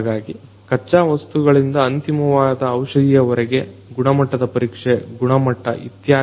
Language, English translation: Kannada, So, you know throughout from the raw materials to the final drugs, examining the quality, the quantity etc